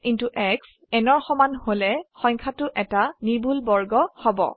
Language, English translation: Assamese, If x into x is equal to n, the number is a perfect square